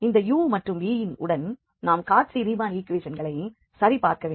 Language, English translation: Tamil, And now with this u and v we can check the Cauchy Riemann equations